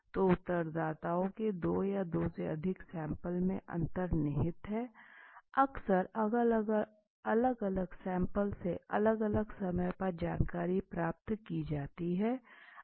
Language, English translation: Hindi, So the difference lies in the two or more sample of respondents okay often information can from different sample is obtained at different times